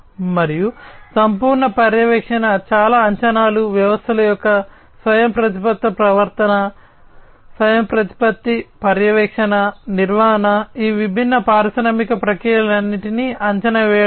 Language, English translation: Telugu, And holistic monitoring lots of predictions autonomous behavior of the systems, autonomous monitoring, maintenance, prediction everything together of these different industrial processes